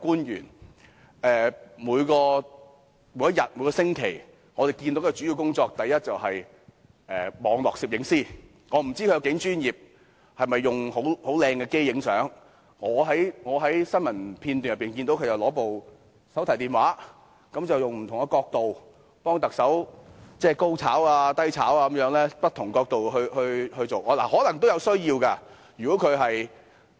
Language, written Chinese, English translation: Cantonese, 他每天最主要的工作是，第一，網絡攝影師，我不知道他有多專業，是否用很專業的相機拍照，但我在新聞片段中只見他拿着手提電話，以不同的角度替特首"高炒"、"低炒"地拍照，可能有此需要。, I do not know how professional he is or whether he uses any professional cameras at all . The only thing I can see from all those news clips is he is always taking high - angle and low - angle photographs of the Chief Executive with a mobile phone . Maybe he really sees such a need